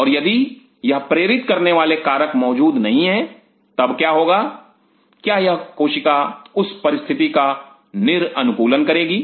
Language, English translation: Hindi, And if these influences are missing then what will happen is this cell will be de adapting to that situation